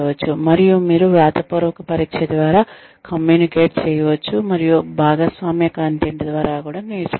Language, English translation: Telugu, And, you can communicate via written test, and learn via shared content